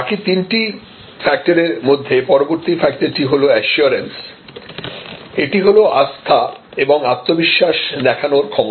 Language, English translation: Bengali, The next dimensions that we will look at the next three dimensions are assurance; that is the ability to convey trust and confidence